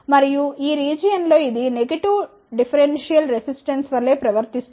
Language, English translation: Telugu, And, in this region it behaves like a negative differential resistance